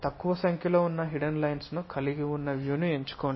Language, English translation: Telugu, Choose the view that has fewest number of hidden lines